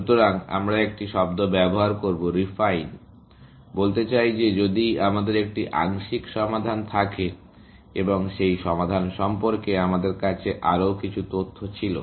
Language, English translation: Bengali, So, we will use a term; refine, to say that if we have a partial solution, and we had a little bit more information about that solution